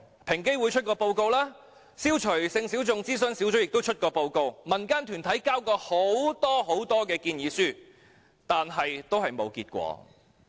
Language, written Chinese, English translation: Cantonese, 平等機會委員會曾發表報告，消除歧視性小眾諮詢小組亦曾發表報告，民間團體也曾提交多份建議書，但都沒有結果。, The Equal Opportunity Commission has released reports so has the Advisory Group on Eliminating Discrimination against Sexual Minorities and community groups have submitted many proposals but all to no avail